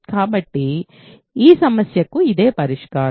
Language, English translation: Telugu, So, this is the solution for this problem